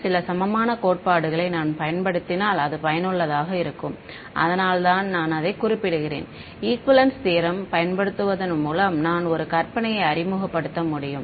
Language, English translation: Tamil, It may be useful if I use some of the equivalence theorems that is why I am mentioning it over here because by using equivalence theorems I can introduce a fictitious